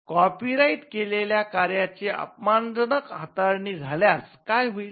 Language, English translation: Marathi, What would happen if there is derogatory treatment of a copyrighted work